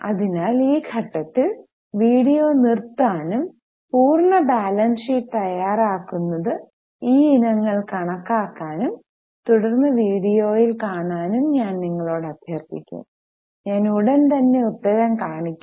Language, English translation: Malayalam, So, at this stage I will request you to stop the video, prepare the complete balance sheet, calculate these items and then continue and see in the video